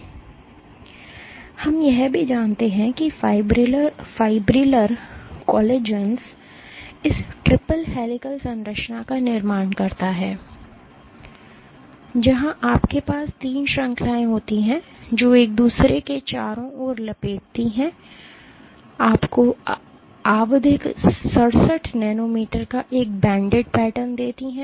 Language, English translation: Hindi, And what we also know is that fibrillar collagens form this triple helical structure, where you have three chains which wrap around each other giving you a banded pattern of periodicity 67 nanometers